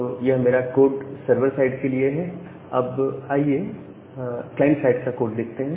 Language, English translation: Hindi, So, this is my code for the sever side now, let us look into the code at the client side